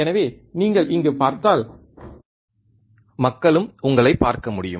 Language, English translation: Tamil, So, if you see there so, the people can also look at you yeah